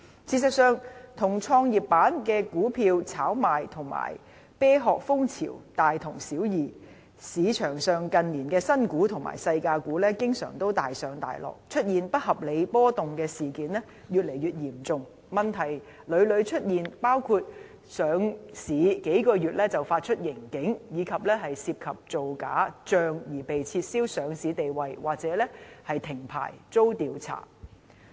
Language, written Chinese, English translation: Cantonese, 事實上，與創業板的股票炒賣和"啤殼"風潮大同小異，市場上近年的新股和"細價股"經常大上大落，出現不合理波動的事件越來越嚴重，問題屢屢出現，包括上市數個月便發出盈警，以及涉及造假帳而被撤銷上市地位或停牌遭查。, Actually speculation in the shares listed on GEM is more or less the same as the prevalence of shell companies . In recent years prices of newly listed shares and penny stocks fluctuated drastically while incidents involving unusual movements in stock prices are getting more serious and problems occurred more frequently including instances of issuing profit warning only a few months after listing as well as false accounting that had led to delisting or revocation of licence pending inquiry